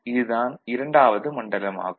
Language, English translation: Tamil, So, this is the region II